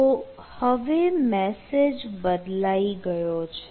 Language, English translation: Gujarati, so now i will change the application